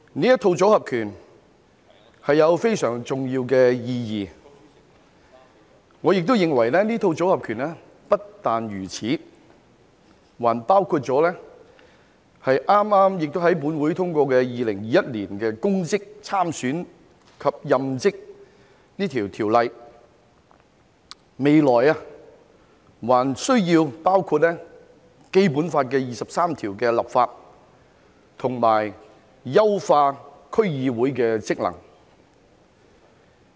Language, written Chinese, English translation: Cantonese, 這套"組合拳"有非常重要的意義，而我認為這套"組合拳"不僅如此，還包括了剛剛在本會通過的《2021年公職條例草案》，未來還需要包括就《基本法》第二十三條立法和優化區議會的職能。, This set of combination punches carries a very important meaning and I think this set of combination punches is not confined to the aforesaid . It should also include the Public Offices Bill 2021 recently passed by this Council . In the future it should also include the legislation on Article 23 of the Basic Law as well as the enhancement of the functions of the District Councils DCs